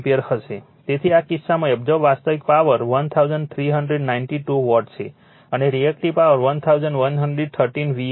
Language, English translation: Gujarati, So, in this case, the real power absorbed is 1392 watt, and reactive power is 1113 var